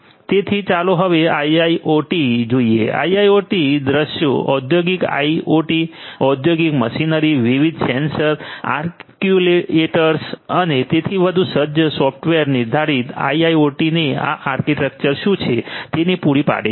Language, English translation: Gujarati, So, let us now look at IIoT, catering to the IIoT scenarios, industrial IoT, industrial machinery, machinery fitted with different sensors, actuators and so on and software defined IIoT what is this architecture